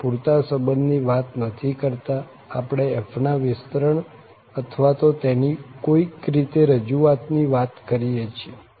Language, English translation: Gujarati, We are not talking about exact relation and all, we are talking about that this is an expansion or some kind of representation of this f